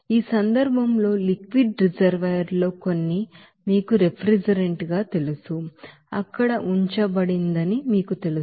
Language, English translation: Telugu, In this case, you will see that in the liquid reservoir some you know refrigerant to be you know kept there